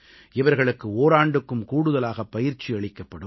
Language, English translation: Tamil, They will be trained for over a year